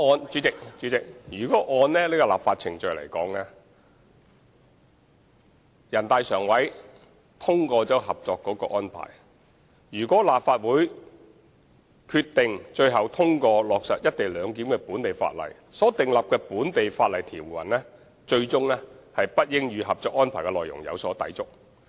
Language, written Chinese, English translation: Cantonese, 主席，就立法程序而言，全國人大常委會通過了《合作安排》，立法會最終通過落實"一地兩檢"安排的本地法例，是不應與《合作安排》的內容有所抵觸的。, President as far as the legislative process is concerned once NPCSC approves the Co - operation Arrangement the local legislation eventually enacted by the Legislative Council for implementing the co - location arrangement must not contravene any contents of the Co - operation Arrangement